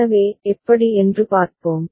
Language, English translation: Tamil, So, let us see how